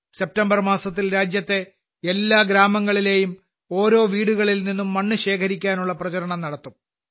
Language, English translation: Malayalam, In the month of September, there will be a campaign to collect soil from every house in every village of the country